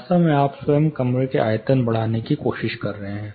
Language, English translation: Hindi, In fact, you are trying to increase the volume of the room itself